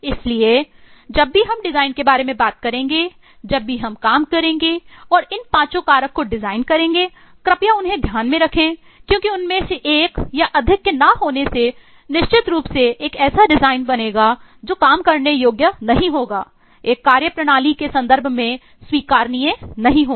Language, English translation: Hindi, so whenever we will talk about design, whenever we will take exercise and design all these eh five factors, please keep them in mind because missing one of, one or more of them will certainly lead to a design which will not be workable, acceptable in terms of a working system